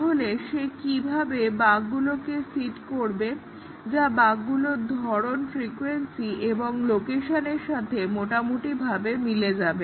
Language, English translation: Bengali, So, how does he go about seeding bugs which roughly match with the type, frequency and location of the bugs